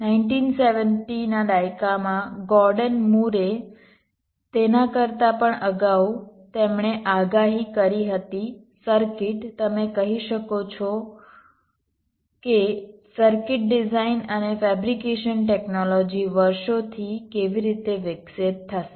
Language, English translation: Gujarati, gordon moore in the nineteen seventies, even earlier then, that he predicted the way the circuit, you can say the circuit design and fabrication technology, would evolve over the years